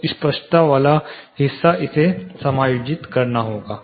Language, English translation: Hindi, So, clarity part it has to be adjusted